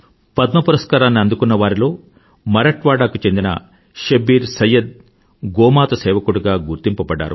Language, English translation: Telugu, Among the recipients of the Padma award, ShabbirSayyed of Marathwada is known as the servant of GauMata